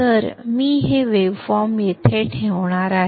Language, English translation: Marathi, So I am going to place this waveform here